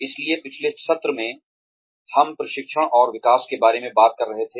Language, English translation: Hindi, So, in the last session, we were talking about training and development